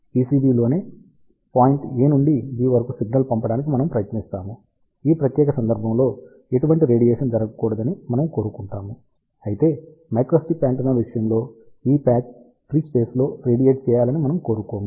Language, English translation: Telugu, Now, in case of microwave circuits, what we do we try to send signal from point a to b on the PCB itself, in that particular case we do not want any radiation to take place whereas, in case of microstrip antenna we want this patch to radiate in the free space